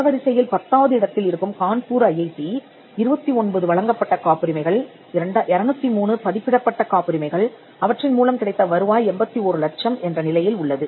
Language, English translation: Tamil, IIT Kanpur, which is ranked 10, has 29th granted patents, 203 published patents and their revenues in 81 lakhs